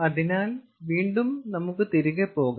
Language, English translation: Malayalam, so again, you see, let us go back